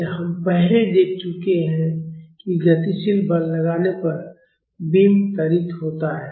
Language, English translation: Hindi, So, we have already seen that the beam accelerates, when a dynamic force is applied